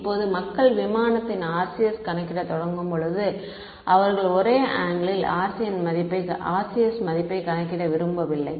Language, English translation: Tamil, Now when people start calculating the RCS of some aircraft they do not want the value of the RCS at one angle